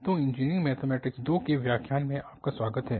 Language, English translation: Hindi, So, welcome back to lectures on Engineering Mathematics II